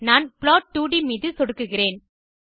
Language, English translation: Tamil, I will click on plot2d